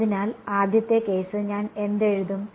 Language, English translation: Malayalam, So, the first case, what will I write